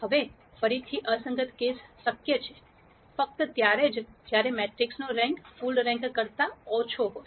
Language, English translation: Gujarati, Now again inconsistent case is possible, only when the rank of the matrix is less than full rank